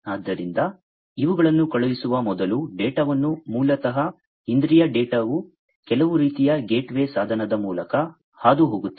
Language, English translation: Kannada, So, before these are sent the data basically the sense data will pass through some kind of a age or gateway device